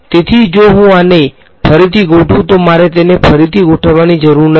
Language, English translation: Gujarati, So, if I rearrange this I need not rearrange this